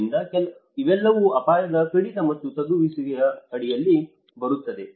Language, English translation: Kannada, So, these are all comes under risk reduction and mitigation